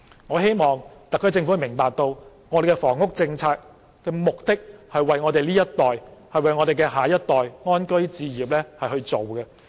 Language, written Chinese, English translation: Cantonese, 我希望特區政府明白，房屋政策的目的是為了我們這一代及下一代安居置業。, I hope the SAR Government will understand that the objective of the housing policy is property ownership of our and the next generations